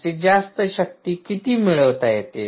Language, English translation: Marathi, ok, what is the maximum power to extract from